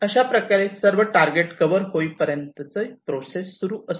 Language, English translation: Marathi, and this process continues till all the targets are covered